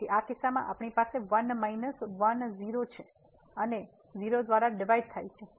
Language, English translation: Gujarati, So, in this case we have 1 minus 1 0 and divided by 0